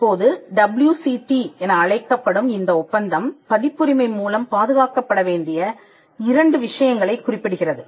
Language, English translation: Tamil, Now this treaty also called as the WCT mentions two subject matters to be protected by copyright